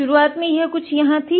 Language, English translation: Hindi, Initially, it was somewhere here ok